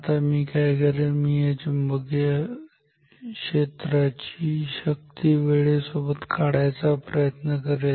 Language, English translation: Marathi, Now what I will do I want to plot the strength of this magnetic field as a function of time